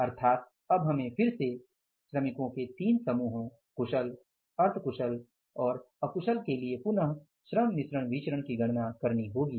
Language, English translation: Hindi, So, it means now we will have to calculate this variance labor mix variance for the three set of the workers again the skilled semi skilled and unskilled